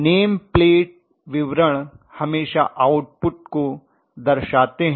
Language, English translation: Hindi, The name plate details always give the output okay